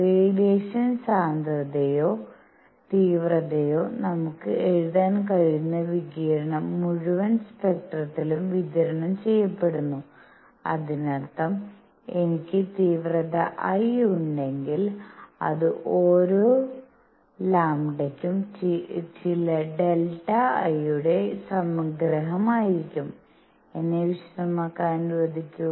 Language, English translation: Malayalam, And the radiation we can write the radiation density or intensity is distributed over the entire spectrum; that means, if I have the intensity I, it will be summation of some delta I for each lambda; let me explain